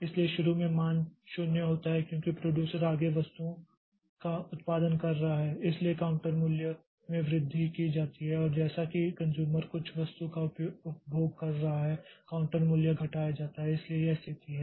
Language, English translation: Hindi, So, initially the value is zero as the producer is producing further items, so counter value is incremented and as the consumer is consuming some item the counter value is decremented